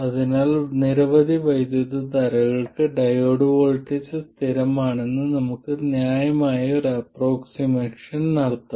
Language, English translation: Malayalam, So, we can make a reasonable approximation that for a range of currents, the diode voltage is constant